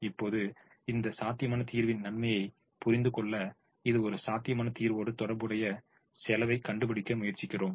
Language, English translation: Tamil, now, to understand the goodness of this feasible solution, we now try to find out the cost associated with this feasible solution